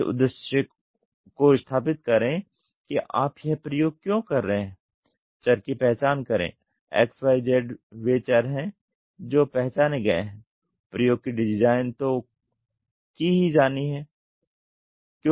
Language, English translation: Hindi, Establish the purpose why are you doing this experiment, identify the variables X Y Z are variables which are identified design of experiments has to be done